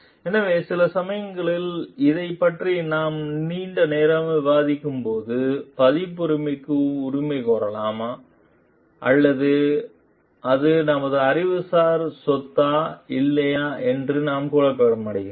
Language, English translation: Tamil, So, sometimes why we are discussing this at length like sometimes, we are confused about like can we claim for a copyright or it is it our intellectual property or not